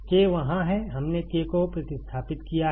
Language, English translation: Hindi, K is there so; we have substituted K also